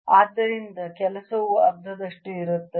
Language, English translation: Kannada, so work is going to be therefore one half